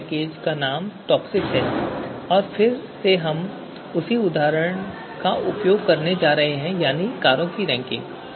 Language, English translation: Hindi, So name of this package is TOPSIS and again we are going to use the same example ranking of cars